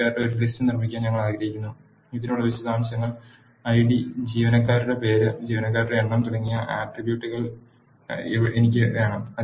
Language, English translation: Malayalam, We want to build a list of employees with the details for this I want the attributes such as ID, employee name and number of employees